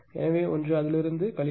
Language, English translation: Tamil, You subtract this one from this one right